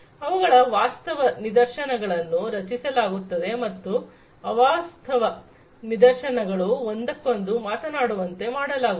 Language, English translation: Kannada, The virtual instances of them would be created and those virtual instances would be made to talk to one another